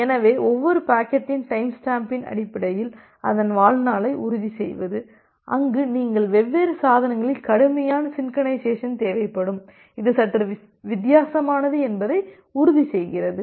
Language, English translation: Tamil, So, ensuring this lifetime based on the timestamping of each packet where you will be requiring strict synchronization across different devices, ensuring that is little bit different